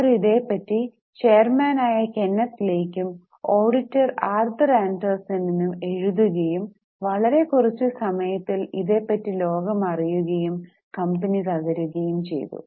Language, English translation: Malayalam, She rose to the, rose and written to both the chairman Kenneth Lay and the auditors Arthur Anderson about the instability and within very short period market came to know about this and company collapsed